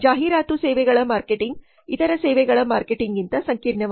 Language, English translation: Kannada, The marketing of advertisement services is more complex than the marketing of other services